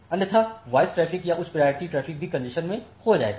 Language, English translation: Hindi, Otherwise the voice traffic or the high priority traffic will also get into congestion